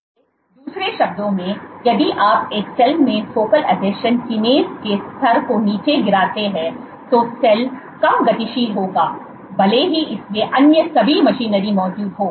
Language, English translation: Hindi, So, in other words if you knock down the level of focal adhesion kinase in a cell then the cell will be less motile even though it has all the other machinery in places